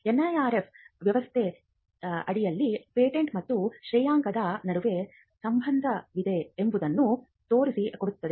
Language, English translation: Kannada, Now, this tells us that there is some relationship between patents and ranking under the NIRF system